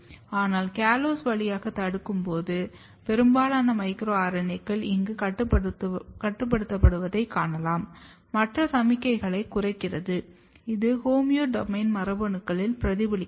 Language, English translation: Tamil, But when you block through the callose, you can see that most of the micro RNAs are getting restricted here, other signals are going down, it will reflect in the in the homeodomain genes